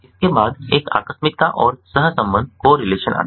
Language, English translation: Hindi, next comes a contingence and correlation